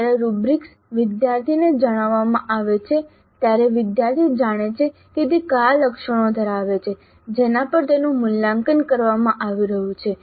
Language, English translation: Gujarati, When the rubrics are communicated to the student, student knows what are the attributes on which he or she is being assessed